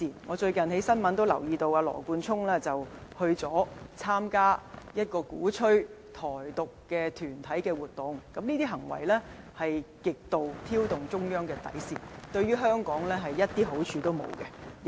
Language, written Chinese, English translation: Cantonese, 我最近從新聞報道留意到，羅冠聰議員曾參加鼓吹台獨團體的活動，這是極度挑動中央底線的行為，對香港毫無好處。, I have recently learnt from media reports that Mr Nathan LAW attended activities organized by an organization which has advocated Taiwan independence . Such an extreme behaviour to test the Central Authorities bottom line is of no benefit to Hong Kong at all